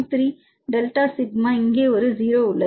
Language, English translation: Tamil, 3 delta sigma N there is a O here, there is 0